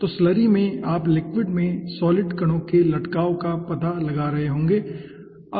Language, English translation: Hindi, okay, so in slurry you will be finding out suspension of solid particles, okay